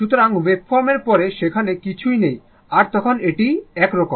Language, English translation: Bengali, So, wave form is there up to this after that nothing is there then it is like this